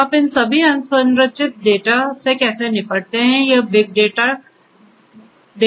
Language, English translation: Hindi, So, how do you deal with all these unstructured data is what big data concerns